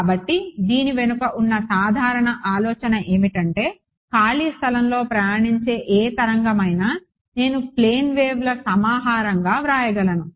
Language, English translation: Telugu, So, the general idea behind this is that any wave that is travelling in free space I can write as a collection of plane waves ok